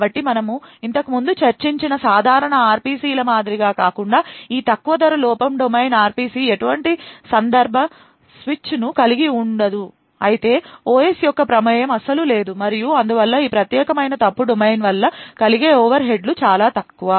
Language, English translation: Telugu, So, unlike the regular RPCs which we discussed previously this low cost fault domain RPC does not involve any context switch rather the OS is not involved at all and therefore the overheads incurred by this particular fault domain is extremely less